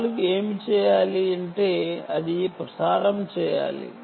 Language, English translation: Telugu, what four should do is it should transmit